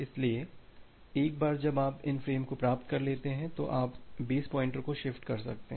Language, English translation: Hindi, So, once you have received these frames so, you can shift the base pointer